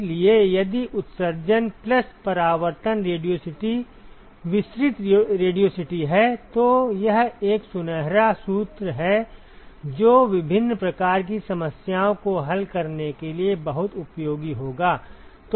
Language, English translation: Hindi, So, if the emission plus reflection the radiosity is the diffuse radiosity, then this is a golden formula that will be very very handy to solve different kinds of problems